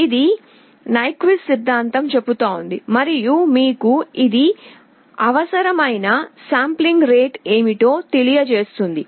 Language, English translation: Telugu, This is what Nyquist theorem says and this gives you a guideline what should be the required sampling rate